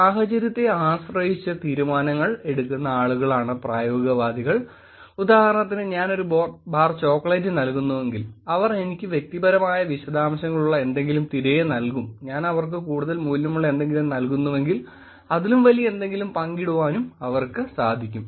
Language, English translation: Malayalam, Pragmatist are the people who are, make decisions depending on the situation, for example, if I am giving a bar of chocolate they would give me back something which is personal details, if I am giving them something more worth then they will be able to share, they will be able to share something bigger also